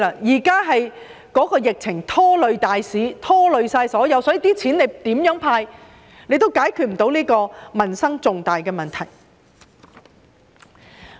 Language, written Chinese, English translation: Cantonese, 現時疫情拖累大市，所以無論政府如何"派錢"，也無法解決重大的民生問題。, As the pandemic is taking a toll on the market in general no matter how much money the Government is going to hand out it cannot solve the major livelihood problems